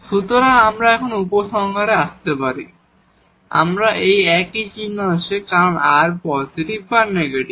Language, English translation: Bengali, So, we can conclude now that we have the same sign because r will have either positive or negative